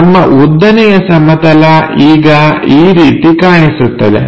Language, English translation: Kannada, So, our vertical plane now looks like this